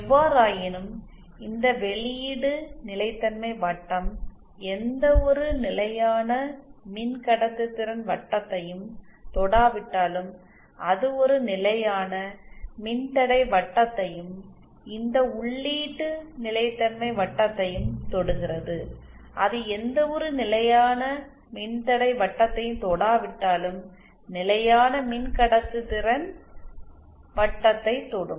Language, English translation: Tamil, However they do touch say this circle even though even this output stability circle even though it does not touch any constant conductance circle, it does touch a constant resistance circle and this input stability circle even though it does not touch any constant resistance circle, it does touch a constant conductance circle